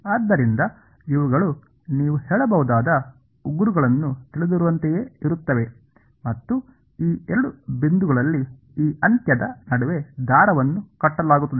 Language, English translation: Kannada, So, these are like you know nails you can say and a string is tied at these two points between this end between